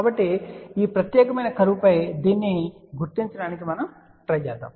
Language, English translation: Telugu, So, let us try to locate this on this particular curve here